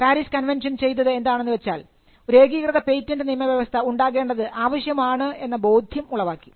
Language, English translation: Malayalam, So, but what the PARIS convention did was it brought together the need for having a harmonized patent regime